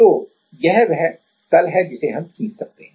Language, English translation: Hindi, So, this is the plane we can draw